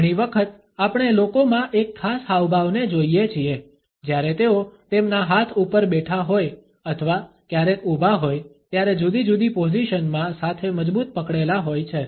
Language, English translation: Gujarati, Often we come across a particular gesture among people, when they are sitting or sometimes standing over their hands clenched together in different positions